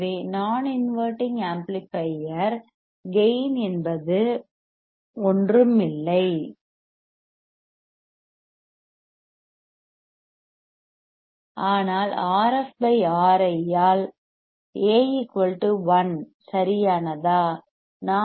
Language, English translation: Tamil, So, non inverting amplifier gain we know gain is nothing, but A equal to 1 by R f by R I right